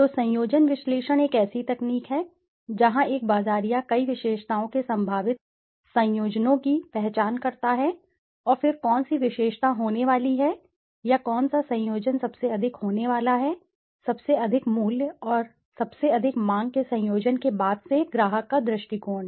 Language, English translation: Hindi, So, conjoint analysis is a technique where a marketer identifies the possible combinations of several attributes and then which attribute is going to be, or which combination is going to be the most, having the highest value and most sought after combination in terms of the from the customer s point of view